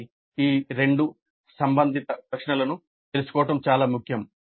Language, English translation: Telugu, So it is important to know these two related questions